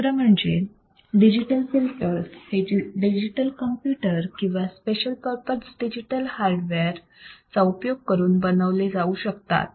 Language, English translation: Marathi, Second, digital filters are implemented using digital computer or special purpose digital hardware